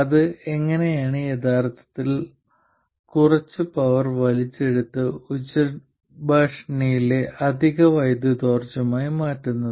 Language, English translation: Malayalam, It actually draws some power from the and converts it into additional power in the loudspeaker